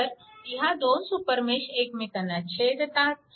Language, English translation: Marathi, So, a super mesh is created